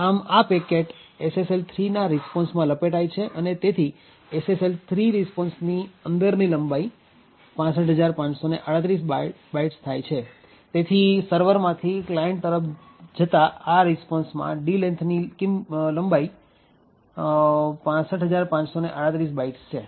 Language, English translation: Gujarati, Thus, this particular packet gets wrapped in the SSL 3 response and therefore the length in the SSL 3 responses 65538 bytes, so D length in the response from the server to the client is 65538 bytes